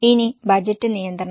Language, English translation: Malayalam, Will it be a budget